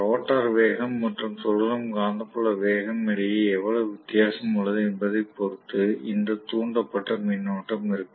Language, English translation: Tamil, Because of which there will be a relative velocity between the rotor conductors and the revolving magnetic field speed